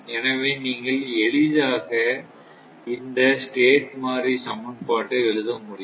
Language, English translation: Tamil, So, if you, if you; you can easily write this state variable equation